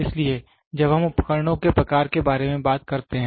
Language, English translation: Hindi, So, when we talk about type of instruments